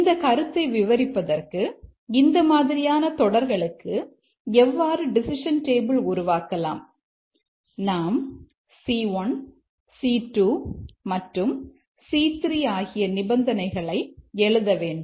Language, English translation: Tamil, Just to explain the concept how to draw the decision table for an expression like this, we need to write the conditions here, C1, C2, and C3